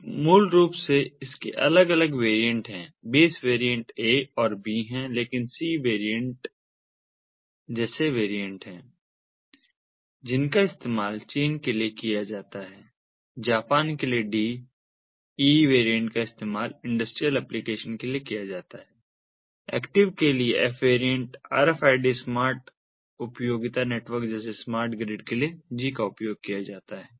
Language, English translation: Hindi, the base variantsare a and b, but there are variants like the c variant which is used for china, the d for japan, the e variant is used for industrial applications, the f variant for active rfid uses, the g for smart utility networks such as smart grids